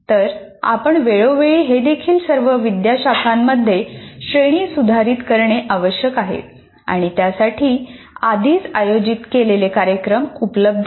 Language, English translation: Marathi, Though from time to time, even these subject matter needs to be upgraded for all the faculty, for which already well organized programs are available